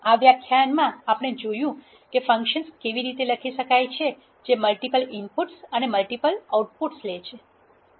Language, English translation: Gujarati, In this lecture we have seen how to write functions which takes multiple inputs and multiple outputs